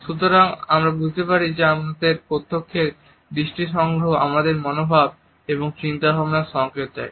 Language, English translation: Bengali, So, we can understand that our direct eye contact signals our attitudes and thoughts